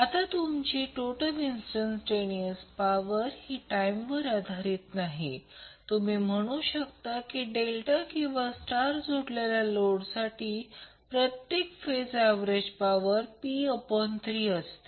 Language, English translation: Marathi, Now since the total instantaneous power is independent of time, you can say the average power per phase for the delta or star connected load will be p by 3